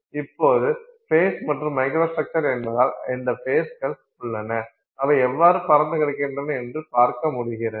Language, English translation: Tamil, Now since the face and the microstructure itself is what faces are present and how they are distributed, right